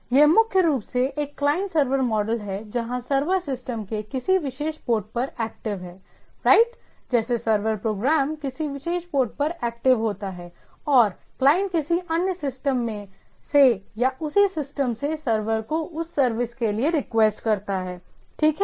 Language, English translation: Hindi, So, it is primarily a client server model where the server is active on some system on a particular port of the system, right; like a server program is active on a particular port and the client from other system or from the same system request the server for that service, right